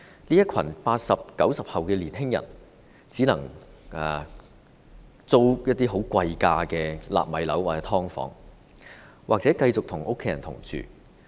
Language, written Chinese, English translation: Cantonese, 這群 "80 後"、"90 後"的年青人只能租住一些貴價"納米樓"或"劏房"，或繼續與家人同住。, These young people in the post 80s and post 90s generations can only rent expensive nano units or subdivided units or continue to live with their families